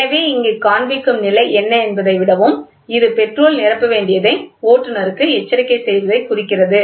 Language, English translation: Tamil, So, here more than what is the level showing, it also indicates and it also indicates an alerts the driver that petrol has to be filled